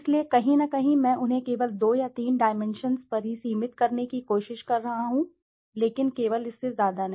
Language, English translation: Hindi, So somewhere I am trying to restrict them on 2 or 3 dimensions only or factors only but not more than that